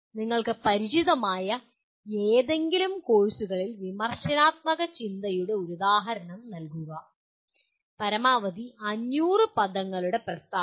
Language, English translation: Malayalam, And give an example of critical thinking in any of the courses you are familiar with, maximum 500 words statement